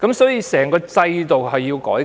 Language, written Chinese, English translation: Cantonese, 所以，其實整個制度也需要改革。, Therefore the whole system actually needs to be reformed